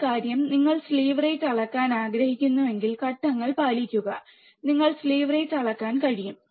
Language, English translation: Malayalam, But the point is, you if you want to measure slew rate follow the steps and you will be able to measure the slew rate